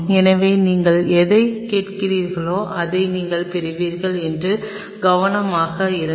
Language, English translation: Tamil, So, be careful what you are asking whatever you will ask you will get that